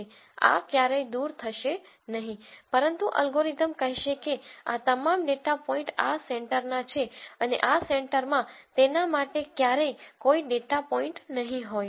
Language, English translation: Gujarati, So, this will never move, but the algorithm will say all of these data points belong to this center and this center will never have any data points for it